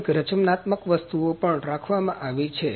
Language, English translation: Gujarati, Also a few creative items are kept